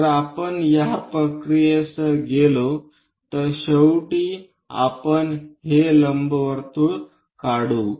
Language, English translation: Marathi, If we go with this procedure, finally we will construct this ellipse